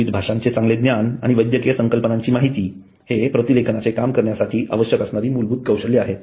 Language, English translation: Marathi, Good knowledge of different languages and medical terminology are basic skills required to perform the transcription